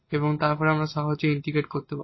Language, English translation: Bengali, So, now, we can integrate